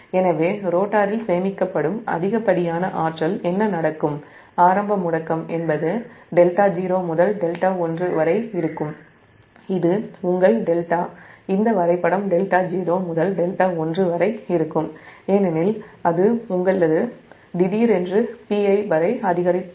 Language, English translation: Tamil, that excess energy stored in the rotor during the initial acceleration is it will be delta zero to delta one, that is your delta, this diagram, that delta zero to delta one, because it has increased from your suddenly to p i